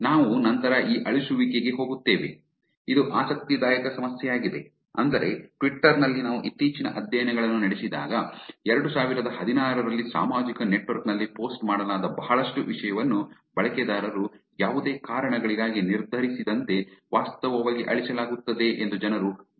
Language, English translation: Kannada, We get to this deletion later, which is also interesting problem, which is that, when in twitter also, we have more recent studies in 2016, people have seen that lot of content that are posted on the social network gets actually deleted for whatever reasons that the users are deciding to